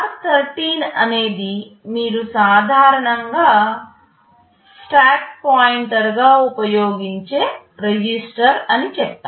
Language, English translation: Telugu, I said r13 is a register that you typically use as the stack pointer